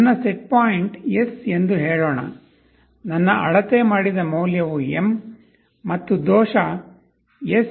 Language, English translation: Kannada, Let us say my setpoint is S, my measured value is M, let us error to be S M